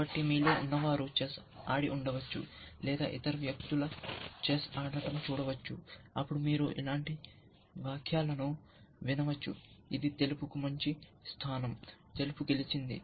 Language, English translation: Telugu, So, again those of you might have played chess, sometimes or watch other people play chess, then you can hear comments like, this is the good position for white or something like that or white is winning